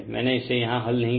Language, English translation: Hindi, I have not solved it here